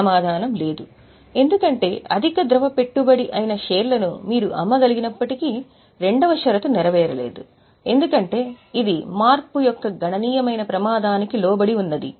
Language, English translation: Telugu, The answer is no because though you can sell it, it is highly liquid investment but the second condition is not fulfilled because it is not subject to insignificant risk of change